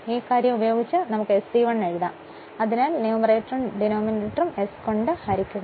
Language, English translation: Malayalam, Or I 2 dash we can write SE 1 upon this thing so divide numerator and denominator by s